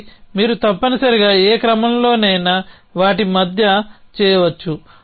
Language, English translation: Telugu, And then you could do between them in any order essentially